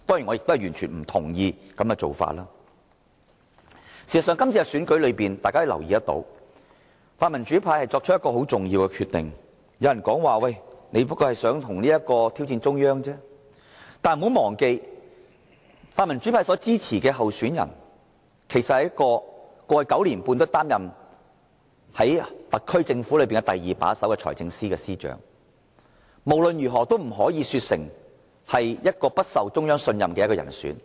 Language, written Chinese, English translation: Cantonese, 在今次的選舉中，大家可以留意到，泛民主派作了一個很重要的決定，有人說："你們只不過是想挑戰中央而已"，但不要忘記，泛民主派所支持的候選人，在過去9年半一直擔任特區政府中第二把手的財政司司長，無論如何也不可說成他是不獲中央信任的人選。, Members may notice that the pan - democrats have made a very important decision in this election . Some said that the pan - democrats just want to challenge the Central Authorities but they should not forget that the candidate supported by the pan - democrats is the former Financial Secretary the second - in - command of the SAR Government in the past nine and a half years; in any case it cannot be said that he is not trusted by the Central Authorities